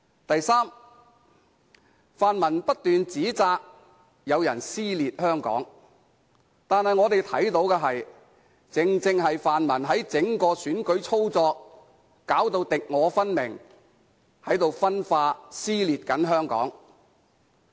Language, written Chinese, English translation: Cantonese, 第三，泛民不斷指摘有人撕裂香港，但我們看到的正正是泛民在整體選舉操作上敵我分明，正在分化和撕裂香港。, Third the pan - democrats have continuously criticized people for tearing Hong Kong apart but it is precisely the pan - democrats who have created opposing camps in the election causing social division and dissension in Hong Kong